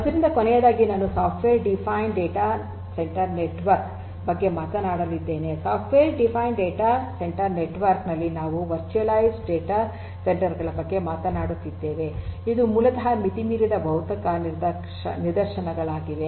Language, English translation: Kannada, So, lastly I am going to talk about the software defined data centre network, in a software defined data centre network we are talking about virtualized data centres which are basically the physical instances beyond the sorry the virtualized instances the logical instances beyond the physical ones